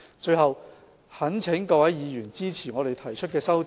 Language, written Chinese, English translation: Cantonese, 最後，我懇請各位議員支持政府提出的修訂。, Lastly I implore Members to support the amendments proposed by the Government